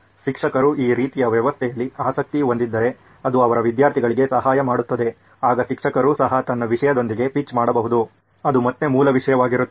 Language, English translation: Kannada, If teacher is also interested in this kind of a system so that it helps her students, then teacher can also pitch in with her content which would be the base content again